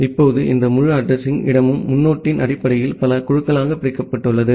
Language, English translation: Tamil, Now, this entire address space it is divided into multiple groups based on the prefix